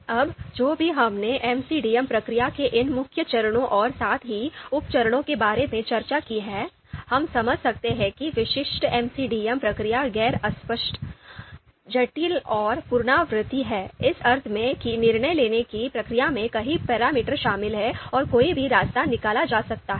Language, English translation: Hindi, Now whatever we have discussed about these main steps of MCDM process and sub steps as well, we can understand that the typical MCDM process is nonlinear, complex and iterative in the sense that decision making process it involves many parameters and the path you know any path can be taken by the decision maker